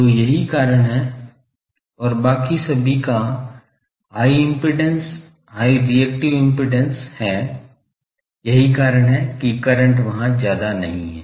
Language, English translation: Hindi, So, that is why and others are all having high impedance, high reactive impedance, so that is why currents are not large there